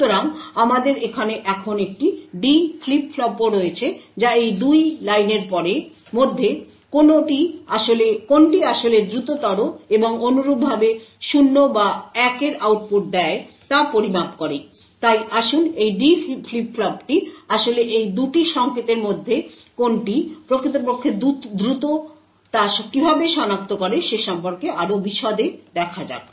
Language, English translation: Bengali, So we also now have a D flip flop over here which measures which of these 2 lines is in fact faster and correspondingly gives output of either 0 or 1, so let us look in more details about how this D flip flop actually is able to identify which of these 2 signals is indeed faster